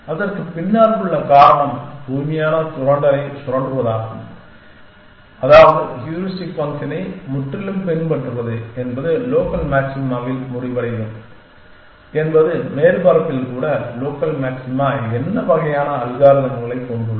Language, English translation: Tamil, The reason behind that is at exploit pure exploitation which means purely following the heuristic function is going to end of in local maxima even in the surface has local maxima what kind of algorithm